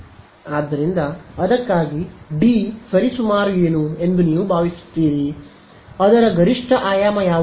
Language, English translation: Kannada, So, what would you think D is roughly for that, what is the maximum dimension of that